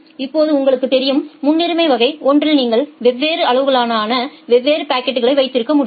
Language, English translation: Tamil, Now you know that in priority class 1 you can have different packets of different sizes